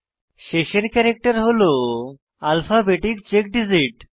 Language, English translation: Bengali, The last character is an alphabetic check digit